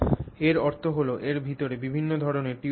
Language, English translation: Bengali, So, what that means is inside this you will have variety of tubes